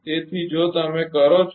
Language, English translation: Gujarati, So, if you do